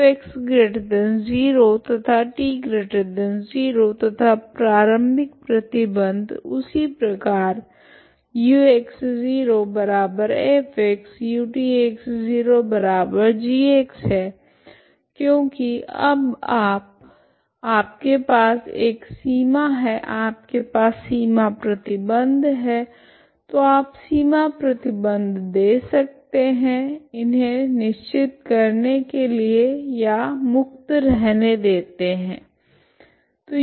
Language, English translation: Hindi, So x is positive and t is positive and initial conditions are same that is u at x, 0 is f x u t at x, 0 equal to g x because you now you have the boundary you have a boundary condition so you can give the boundary condition as either fixed it or allow it to be free